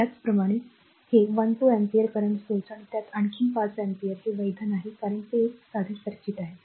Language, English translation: Marathi, Similarly, this 1 2 ampere currents source and another 5 ampere in the same it is not valid because it is a simple circuit